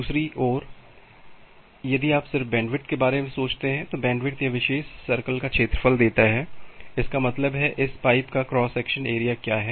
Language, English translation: Hindi, On the other hand, if you just think about the bandwidth, bandwidth gives the area of their, this particular circle; that means, what is the cross section area of this pipe